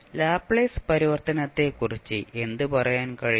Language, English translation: Malayalam, So what we can say about the Laplace transform